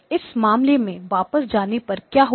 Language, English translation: Hindi, What will happen if you go back to this case